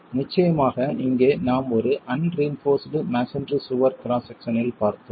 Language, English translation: Tamil, Of course, here we have looked at an unreinforced masonry wall cross section